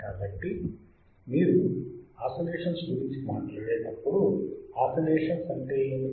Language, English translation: Telugu, So, when you talk about oscillations, what oscillations means right